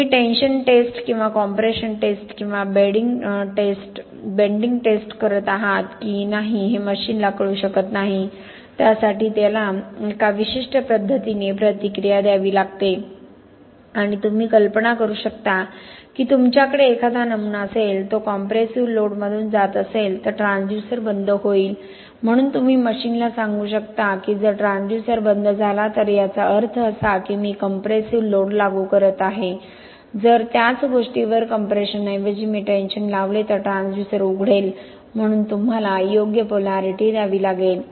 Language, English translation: Marathi, The machine may not know if you are doing a tension test or compression test or a bending test, for it, it has to react in a certain way and you can imagine that if you have a specimen, that is undergoing compressive load, the transducer will closed right, so you can tell the machine if the transducer closes that means that I am applying compressive load, if instead of compression on the same thing I apply tension, then the transducer opens, so you have to give the right polarity so that the specimen is stretching and that means, the test, the system knows that its applying a tension